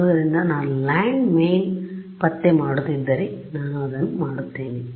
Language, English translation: Kannada, So, if I were doing landmine detection I would do this